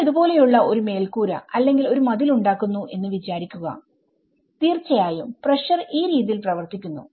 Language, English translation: Malayalam, Imagine if you are making a roof like if you are making a wall like this, obviously the pressure acts this way and as things might tend to fall down here